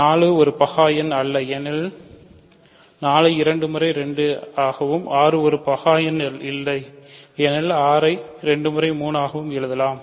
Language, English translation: Tamil, 4 is not a prime number because 4 can be written as 2 times 2, 6 is not a prime number because 6 can be written as 2 times 3 and 2 and 3 are